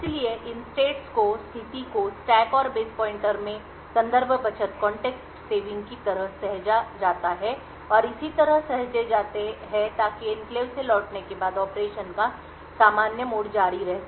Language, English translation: Hindi, So, these states saving like context saving in the stack and base pointer and so on are saved so that after returning from the enclave the normal mode of operation can continue